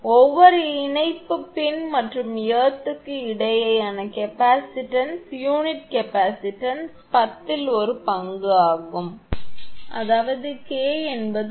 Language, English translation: Tamil, The capacitance between each link pin and earth is one tenth of the self capacitance of unit; that means, K is equal to actually 0